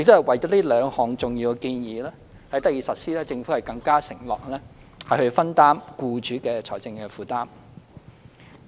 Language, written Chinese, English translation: Cantonese, 為使這兩項重要建議得以實施，政府更承諾分擔僱主的財政負擔。, To ensure the smooth implementation of these two important proposals the Government has promised to share employers financial burden